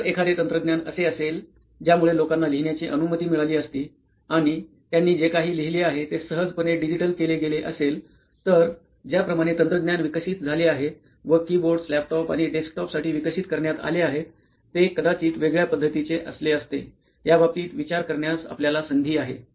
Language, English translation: Marathi, So if there was a technology which would have allowed people to you know write and whatever they have written got digitized easily then probably the way technology has evolved and keyboards have evolved into desktops and laptops would have been different is why we think an opportunity for something like this exists